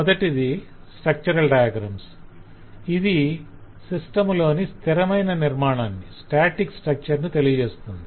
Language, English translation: Telugu, one is called structural diagrams and the structural diagram show the static structure of the system